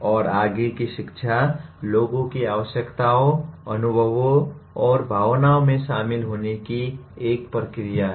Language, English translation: Hindi, And further teaching is a process of attending to people’s needs, experiences and feelings